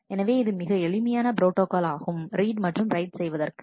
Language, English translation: Tamil, So, this is a very simple protocol for read and write